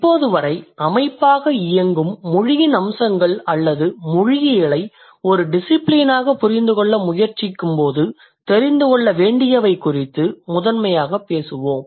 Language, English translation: Tamil, Up until now we were primarily talking about the features of language as a system or the what we must know when we are trying to understand linguistics as a discipline